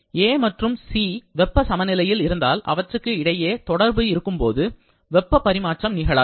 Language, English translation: Tamil, If A and C are in thermal equilibrium, then there will be no flow through no transfer of heat between them when they are in contact